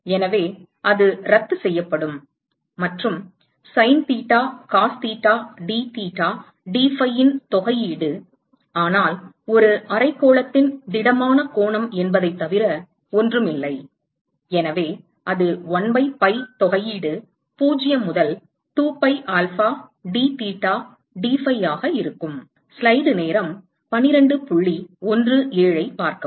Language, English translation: Tamil, So, that will cancel out and the integral of the sin theta cos theta dtheta dphi is nothing, but solid angle of a hemisphere, so, that will be 1 by pi integral 0 to 2 pi alpha dtheta dphi